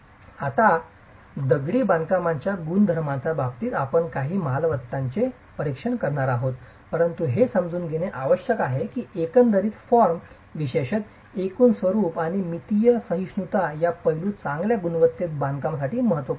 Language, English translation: Marathi, Okay, now in terms of the properties of masonry, we are going to be examining a few properties but it is important to understand that aspects such as the overall form, particularly the overall form and dimensional tolerances are key to good quality construction